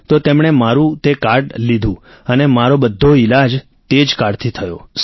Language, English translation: Gujarati, Then he took that card of mine and all my treatment has been done with that card